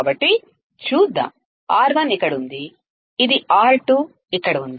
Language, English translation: Telugu, So, let us see, R1 is here which is grounded, R2 is here